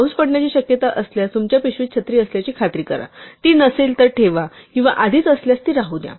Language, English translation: Marathi, If it is likely to rain, ensure that the umbrellas in your bag, put it if it is not there, or leave it if it is already there